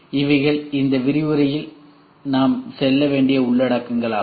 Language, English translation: Tamil, So, these are the contents which we will go through in this lecture